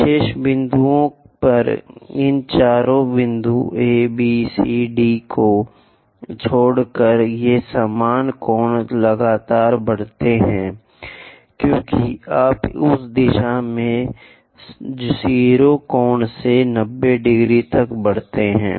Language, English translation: Hindi, Except these four points A, B, C, D at remaining points these normal angle continuously increases as you go in that direction all the way from 0 angle to 90 degrees it increases